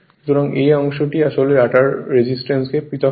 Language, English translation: Bengali, So, this part actually separated the rotor resistance is separated right